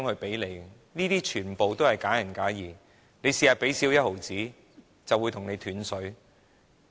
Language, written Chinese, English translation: Cantonese, 這些說法全部都是假仁假義，只要香港少付1毫子，便會斷水。, What they say is all false benevolence . So long as Hong Kong pays one cent less our water supply will be cut